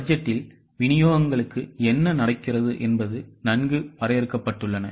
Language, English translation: Tamil, In budget what happens, the deliverables are well defined